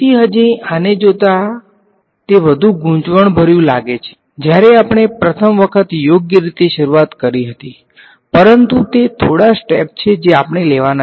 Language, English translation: Gujarati, So, still looking at this it is seem even more confusing when we first started out right, but it is a few steps that we have to take